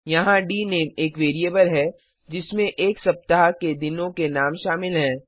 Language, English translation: Hindi, Here dName is a variable to hold the names of the days of a week